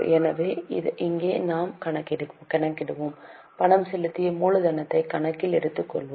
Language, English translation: Tamil, So, here we will calculate, we will take into account paid up capital